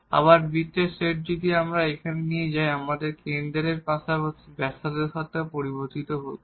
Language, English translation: Bengali, Again the set of the circles if we take here, here now we are also varying with the centre and as well as the radius